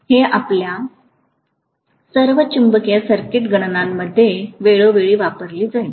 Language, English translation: Marathi, So this will be used time and again in all your magnetic circuit calculations